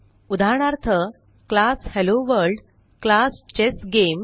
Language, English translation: Marathi, * Example: class HelloWorld, class ChessGame